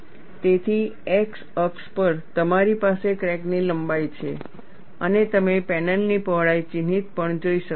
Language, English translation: Gujarati, So, on the x axis, you have the crack length and you could also see the panel width marked